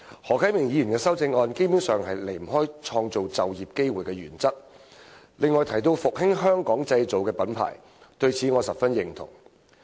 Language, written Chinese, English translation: Cantonese, 何啟明議員的修正案基本上不離"創造就業機會"的原則，而他亦提到復興"香港製造"這品牌，我對此十分認同。, Mr HO Kai - mings amendment basically sticks to the principle of creating employment opportunities and his idea of reviving the brand name of made in Hong Kong has also struck a chord with me